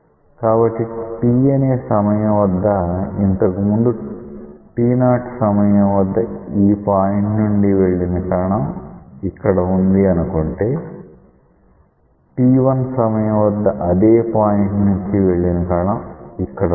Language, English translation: Telugu, So, at time equal to t that particle which passed earlier through this point at t 0, say now it is here that particle which pass through this point at t1 is now at here